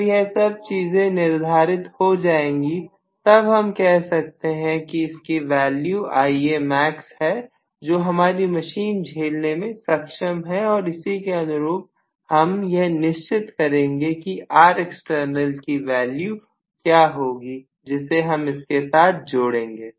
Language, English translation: Hindi, Only if that is actually set, then I will be able to say what is the value of Ia max, my machine can withstand, then correspondingly I will decide what is the value of R external that I need to include